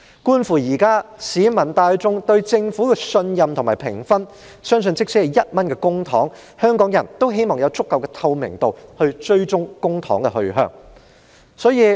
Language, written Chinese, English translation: Cantonese, 觀乎現時市民大眾對政府的信任及評分，相信即使只是1元公帑，香港人也希望有足夠的透明度，以追蹤公帑的去向。, Given the publics trust and rating of the Government at present I believe Hong Kong people hope that there will be sufficient transparency to keep track of the whereabouts of public money even if the spending is just 1